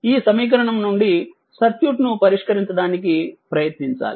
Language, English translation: Telugu, And that means, from this equation we have to try to solve this circuit